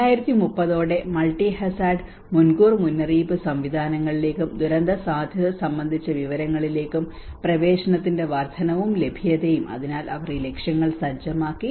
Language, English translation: Malayalam, And the increase and availability of access to multi hazard early warning systems and disaster risk information by 2030, so they have set up these targets